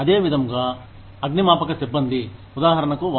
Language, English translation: Telugu, Similarly, firefighters, for example